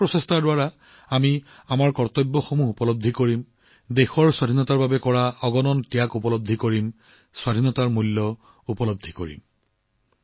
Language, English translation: Assamese, With these efforts, we will realize our duties… we will realize the innumerable sacrifices made for the freedom of the country; we will realize the value of freedom